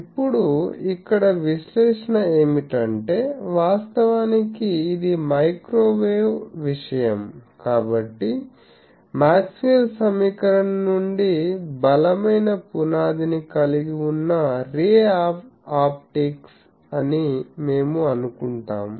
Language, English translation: Telugu, Now, here actually the analysis for that we will assume that since, this is a microwave thing we assume that ray optics which has a strong foundation from Maxwell’s equation